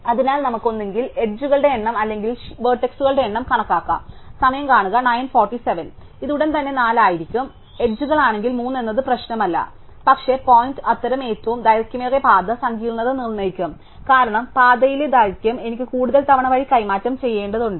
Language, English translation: Malayalam, So, we can either counted terms of number of edges or in number of vertices is with vertices this one would be 4, if it is edges it will be 3 does not really matter, but the point is that the longest such path will determine the complexity, because the longer the path the more times I am in need to swap on the via